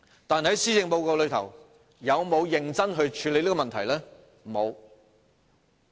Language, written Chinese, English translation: Cantonese, 但是，施政報告有否認真處理這問題？, However did the Policy Address seriously address this issue?